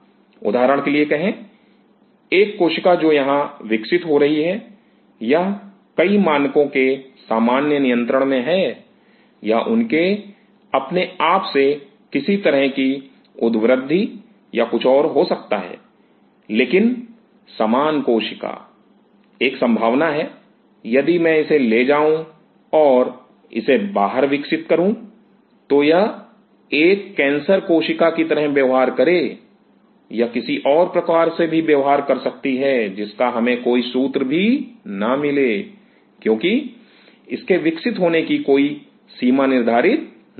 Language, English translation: Hindi, Say for example, a cell which is growing here, it is under normal control of several parameters, it can their own be any out growth or anything, but same cell, there is a possibility if I take it and grow it outside, it may behave like a cancer cell, it may behave like something else which we have no clue because it does not have any restriction boundaries it can grow